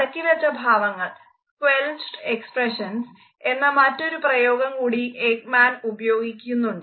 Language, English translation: Malayalam, Another term which Ekman has used is squelched expressions